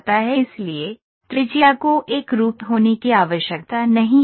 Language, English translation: Hindi, So, the radius need not be uniform